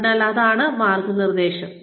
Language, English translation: Malayalam, So, that is mentoring